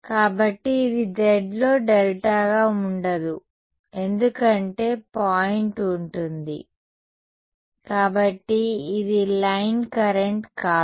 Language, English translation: Telugu, So, it will not be a delta z because there will be a point so, this is not be a line current right